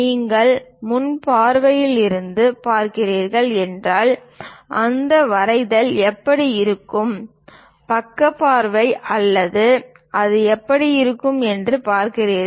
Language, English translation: Tamil, So, if you are looking from frontal view, how that drawing really looks like, side views how it looks like